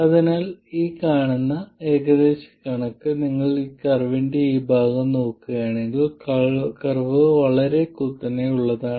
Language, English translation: Malayalam, So, the next approximation that you see is that if you look at this part of the curve, the curve is quite steep